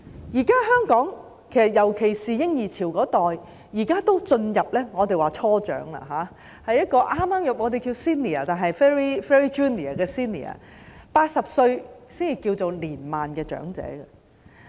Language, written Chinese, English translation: Cantonese, 現時香港，尤其是嬰兒潮一代已經進入我們所謂的"初長"，即是剛剛成為 senior ，但只是 very junior 的 senior ，80 歲才屬於年邁的長者。, At present Hong Kong especially the baby boomer generation has already entered the stage which is described as young elderly that is while they have just become senior citizens they are senior citizens who are only very junior only those aged 80 should be regarded as elderly people